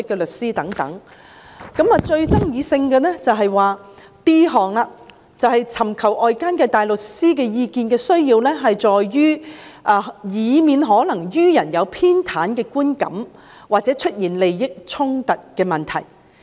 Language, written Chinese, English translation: Cantonese, 但是，最具爭議性的是第 d 項，便是尋求外間大律師意見的需要在於，為免可能予人有偏袒的觀感或出現利益衝突的問題。, But the most controversial is item d and that is DoJ may seek outside counsels advice in order to address possible perception of bias or issues of conflict of interests